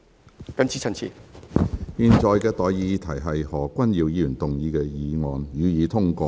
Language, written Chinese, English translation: Cantonese, 我現在向各位提出的待議議題是：何君堯議員動議的議案，予以通過。, I now propose the question to you and that is That the motion moved by Dr Junius HO be passed